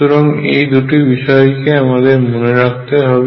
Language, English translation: Bengali, So, these are two things that we keep in mind